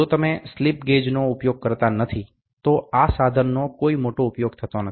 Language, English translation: Gujarati, If you do not use the slip gauge, this instrument is of not of big use